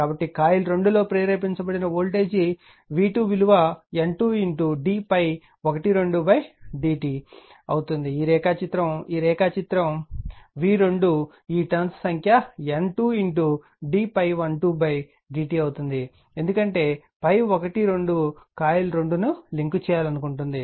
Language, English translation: Telugu, So, the voltage induced in coil 2 will be v 2 will be N 2 into d phi 1 2 upon d t, this diagram this diagram v 2 will be your this number of turns is N 2 into d phi 1 2 upon d t because phi want to link the coil 2 right